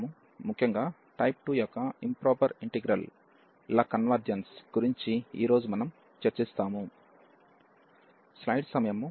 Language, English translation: Telugu, So, in particular we will discuss today the convergence of improper integrals of type 2